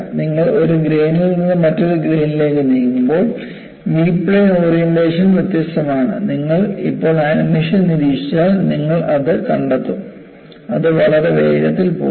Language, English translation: Malayalam, And when you move from one grain to another grain, the orientation of the V plane is different, and you just observe the animation now, you will find that, it goes very fast